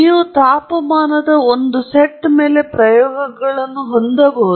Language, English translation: Kannada, So, you can have experiments over a set of temperatures right